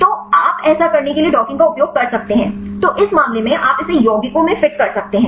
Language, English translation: Hindi, So, you can use docking to do this; so in this case you can fit it to the compounds